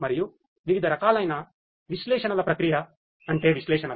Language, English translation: Telugu, And the different types of analytics processing means analytics right